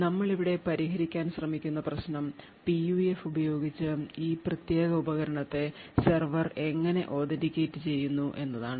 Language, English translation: Malayalam, So the problem that we are actually trying to solve here is that how would the server authenticate this particular device using the PUF